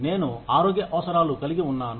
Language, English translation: Telugu, I have health needs